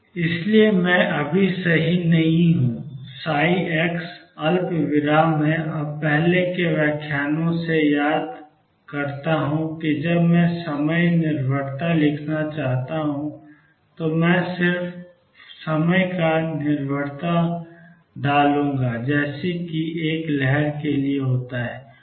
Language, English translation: Hindi, So, I am not right now psi x comma t and recall from earlier lectures, that when I want to write the time dependence I will just put in the time dependence as happens for a wave